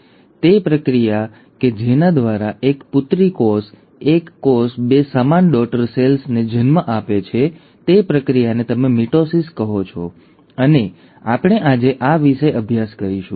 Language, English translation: Gujarati, Now that process by which one daughter cell, one cell gives rise to two identical daughter cells is what you call as the mitosis and we will study about this today